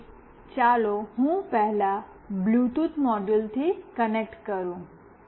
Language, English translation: Gujarati, So, let me first connect to the Bluetooth module